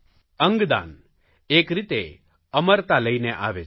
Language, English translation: Gujarati, Organ donation can bring about immortality